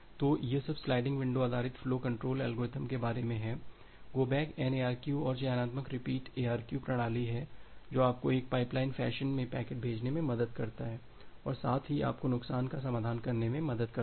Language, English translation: Hindi, So, that is all about the sliding window based flow control algorithms, the go back N ARQ and selective repeat ARQ mechanism which helps you to send the packets in a pipeline fashion and at the same time helps you to resolve for loss